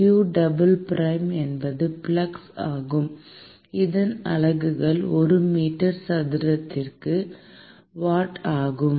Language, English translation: Tamil, q double prime which is the flux, is essentially the units of this is watt per meter square